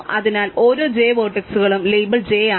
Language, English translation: Malayalam, So, each vertex j is label j